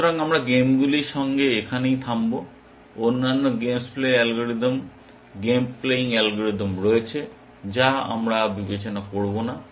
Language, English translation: Bengali, So, we will stop here with games, there are other games plays algorithm, game playing algorithms that we will not consider